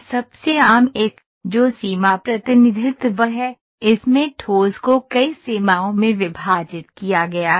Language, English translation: Hindi, The most common one, which is boundary representation, this is a solid, the solid is divided into several boundaries